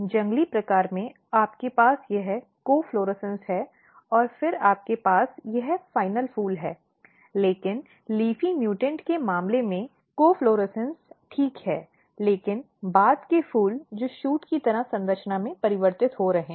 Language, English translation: Hindi, So, in wild type you have this co florescence and then you have this final flowers, but in case of leafy mutant the co florescence are fine, but the later flowers which are basically getting converted like shoot like structure